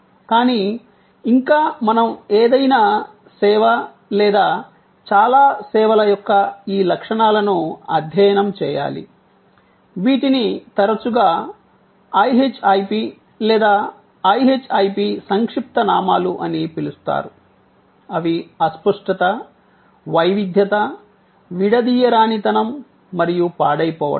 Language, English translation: Telugu, But, yet we must study these characteristics of any service or most services, which are often called IHIP or IHIP acronym for Intangibility, Heterogeneity, Inseparability and Perishability